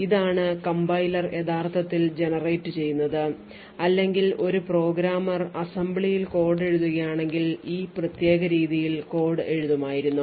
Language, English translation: Malayalam, so here we have like there are 5 instructions and this is what the compiler would have actually generated or if a programmer is writing code in assembly he would have written code in this particular way